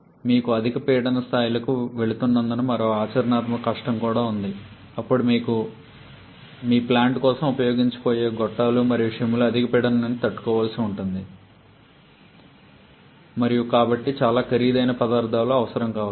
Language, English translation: Telugu, There is another practical difficulty also as you are going to higher pressure levels then the tubings and shims that you are going to use for your plant may have to withstand much higher pressure and so you may need much costlier materials